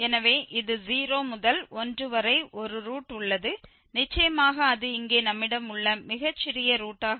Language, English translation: Tamil, So, this there is a root between 0 and 1 and certainly that is going to be here the smallest root we have